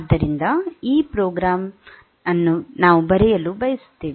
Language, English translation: Kannada, So, this program we want to write